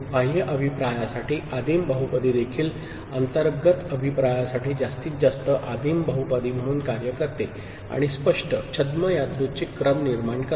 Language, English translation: Marathi, Primitive polynomial for external feedback also works as maximal, primitive polynomial for internal feedback and generates pseudo random sequence, clear